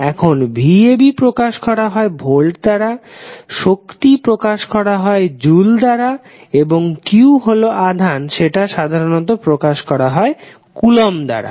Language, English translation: Bengali, Now, v ab we simply say as volt energy, we simply give in the form of joules and q is the charge which we generally represent in the form of coulombs